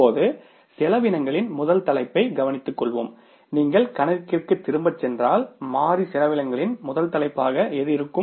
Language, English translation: Tamil, Now, we will take here as the first head of the expense is what if you go back to the problem, the first head of the variable expense is the fuel